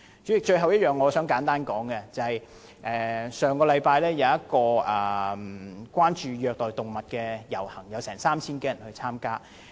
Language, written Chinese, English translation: Cantonese, 主席，最後我想簡單說的是，上星期有一個關注虐待動物的遊行，有 3,000 多人參加。, Chairman lastly I wish to mention briefly that a procession was held last week on abuse of animals with more than 3 000 people participating